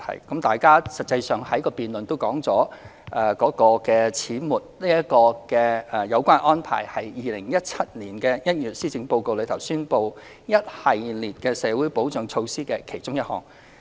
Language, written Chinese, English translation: Cantonese, 有關把長者綜援合資格年齡由60歲改為65歲的安排，是在2017年1月施政報告宣布的一系列社會保障措施的其中一項。, Regarding the arrangement of adjusting the eligibility age for elderly CSSA from 60 to 65 it is one of the series of social security measures announced in the Policy Address in January 2017